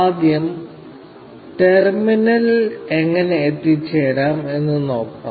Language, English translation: Malayalam, So, first, we will see how to reach the terminal